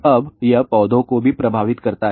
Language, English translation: Hindi, Now, it also affects the plants